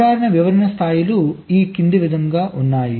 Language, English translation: Telugu, the typical description levels are as follows